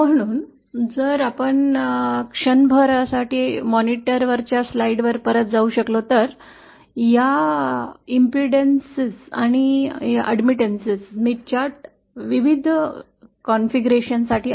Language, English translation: Marathi, So if we can go back to the slides the monitor for a moment, these are the various configurations of the impedance and admittance Smith charts